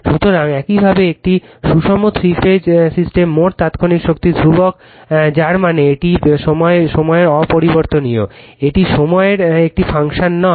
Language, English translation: Bengali, So, thus the total instantaneous power in a balanced three phase system is constant that means, it is time invariant, it is not a function of time right